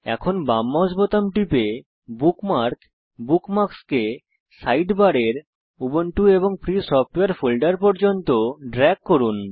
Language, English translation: Bengali, Now, press the left mouse button and drag the bookmark up to Ubuntu and Free Software folder in the Bookmarks Sidebar